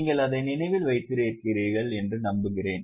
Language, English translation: Tamil, I hope you have understood, remembered it